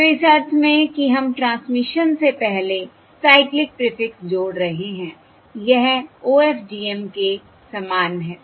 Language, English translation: Hindi, So, in the sense that we are adding the cyclic prefix prior to transmission, it is similar to OFDM